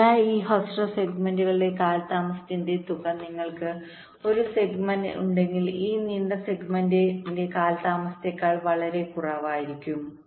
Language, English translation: Malayalam, so this sum of the delays of these shorter segments will be much less then the delay of this long segment if you have a single segment